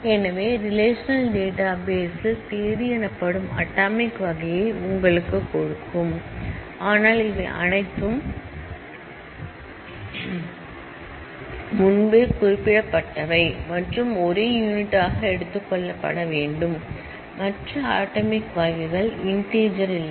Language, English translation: Tamil, So, in a relational database will give you atomic type called date, but all of these are pre specified and has to be taken as one unit, other atomic types are integer like we do not have an integer field here